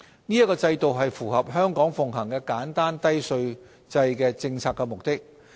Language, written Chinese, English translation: Cantonese, 此制度符合香港奉行簡單低稅制的政策目的。, This regime aligns with the policy intent to maintain the simple and low tax system of Hong Kong